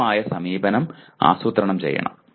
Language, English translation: Malayalam, Planning an appropriate approach